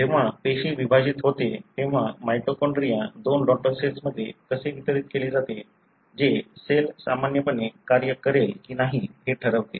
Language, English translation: Marathi, When the cell divides, how the mitochondria is distributed to the two daughter cells that determines whether the cell would function normally or not